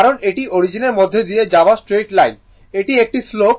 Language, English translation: Bengali, Because this is straight line passing through the origin this is a slope minus 5 T by 4 into t dt right